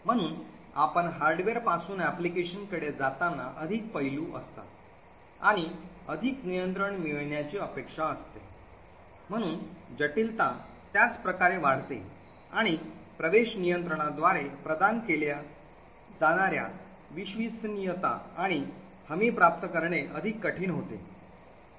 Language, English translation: Marathi, So as we move from the hardware to the application there are more aspects and more finer expects to be control, so the complexity increases the same way and also the reliability and the guarantees that can be provided by the access control is more difficult to achieve